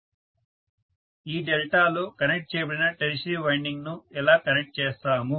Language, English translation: Telugu, How will we connect this delta connected tertiary winding